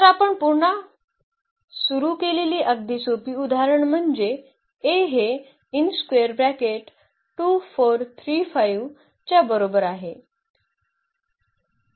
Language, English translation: Marathi, So, again very simple example we have started with this A is equal to 2 4 and 3 5